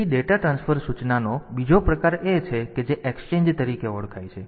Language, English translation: Gujarati, So, there is another type of data transfer instruction which which is known as the exchange